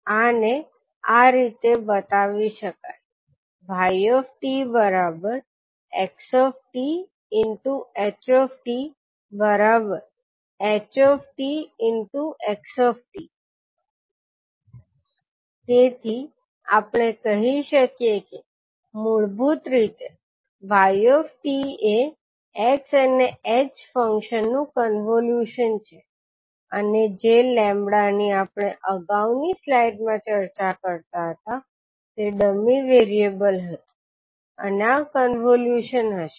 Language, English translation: Gujarati, So we can say that basically the yt is convolution of x and h functions and the lambda which we discussed in the previous slide was dummy variable and this would be the convolution